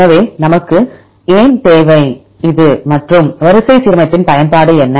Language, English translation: Tamil, So, why we need this and what is the use of the sequence alignment